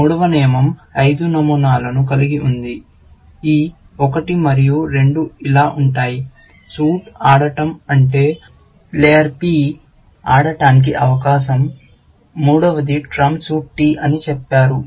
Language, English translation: Telugu, The third rule has five patterns; this one and two are same as this; that the suit will play is that the turn of player P